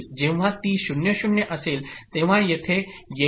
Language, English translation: Marathi, So when it is 0, you come over here